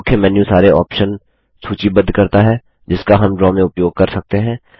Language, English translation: Hindi, The Main menu lists all the options that we can use in Draw